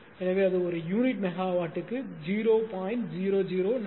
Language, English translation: Tamil, 01 per unit megawatt, right